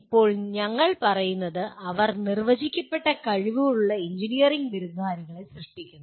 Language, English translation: Malayalam, Now what we say, they produce engineering graduates with defined abilities